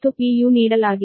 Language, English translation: Kannada, u is given right